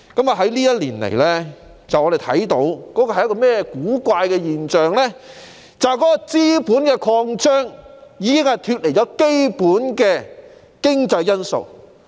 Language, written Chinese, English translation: Cantonese, 過去一年來，我們看到一種古怪現象，便是資本擴張已脫離基本的經濟因素。, We have seen an awkward phenomenon over the past year the phenomenon that capital expansion has deviated from basic economic factors